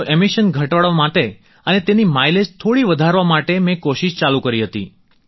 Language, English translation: Gujarati, Thus, in order to reduce the emissions and increase its mileage by a bit, I started trying